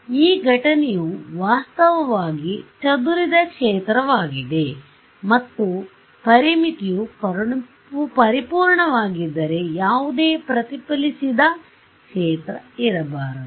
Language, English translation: Kannada, So, this incident is actually a scattered field only and if this a boundary condition was perfect, there should not be any reflected field